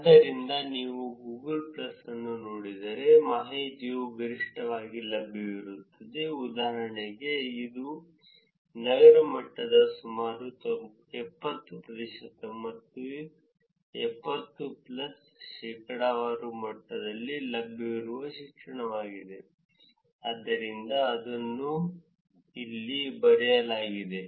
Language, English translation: Kannada, So, if you look at Google plus, the information is maximum available for example, it is education that is available at a city level about 70 percent or 70 plus percentage, so that is what is its written here